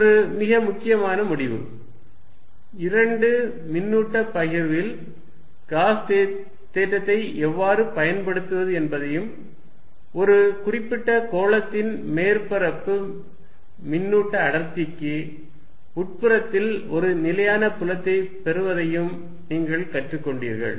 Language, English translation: Tamil, That is a very important result, you also learnt in this how to use Gauss theorem with two charge distributions and it gives you a result that for a particular surface charge density you get a constant field inside this is sphere